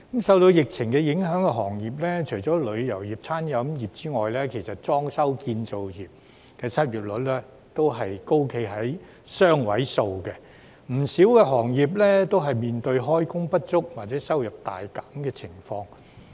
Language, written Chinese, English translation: Cantonese, 受疫情影響的行業，除旅遊業及餐飲服務業外，其實裝修、建造業的失業率亦高企於雙位數，不少行業面對開工不足或收入大減的情況。, As for industries affected by the epidemic apart from the tourism and the food and beverage services industries the unemployment rate of other industries like the renovation and construction industries has also remained at double digits with many industries facing underemployment or significant drop in income